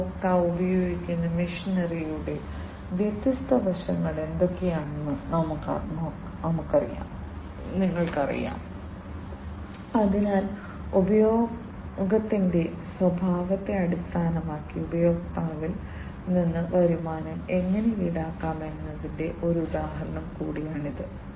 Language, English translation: Malayalam, You know what are the different what are the different aspects of the machinery that is used by the customer, so that is also an example of how the customer can be charged with the revenues, based on the nature of the usage